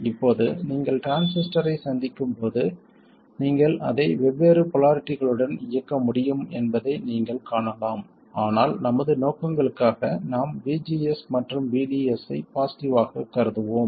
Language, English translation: Tamil, Now when you encounter the transistor you may find that you will be able to operate it with different polarities but for our purposes we will consider VGS and VDS to be positive